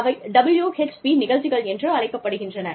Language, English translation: Tamil, They are called, WHP Programs